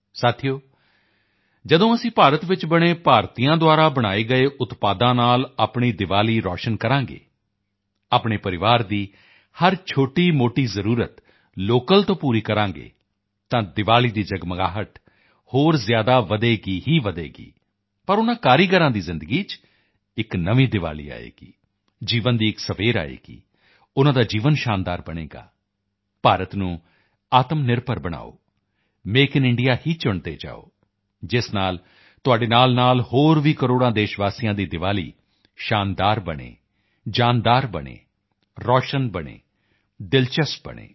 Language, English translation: Punjabi, Friends, when you brighten up your Diwali with products Made In India, Made by Indians; fulfill every little need of your family locally, the sparkle of Diwali will only increase, but in the lives of those artisans, a new Diwali will shine, a dawn of life will rise, their life will become wonderful